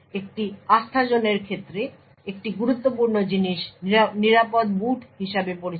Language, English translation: Bengali, One thing that is critical with respect to a Trustzone is something known as secure boot